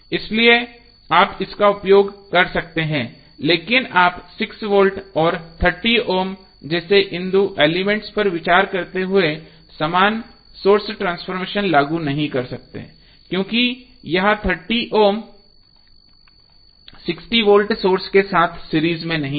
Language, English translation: Hindi, So this you can utilize but, you cannot apply the same source transformation while considering these two elements like 6 volts and 30 ohm because this 30 ohm is not in series with 60 volt source